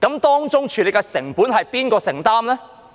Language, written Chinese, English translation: Cantonese, 當中處理的成本由誰承擔？, Who will shoulder the costs involved?